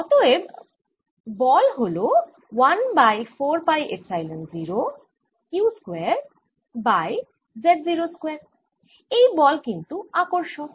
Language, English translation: Bengali, and that gives me one over four pi epsilon zero, q square over four z naught